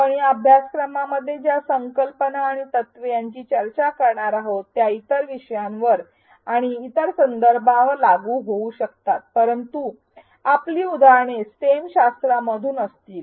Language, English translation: Marathi, While the concepts and principles that we discuss in this course may be applicable to other topics and other contexts our examples will be from stem disciplines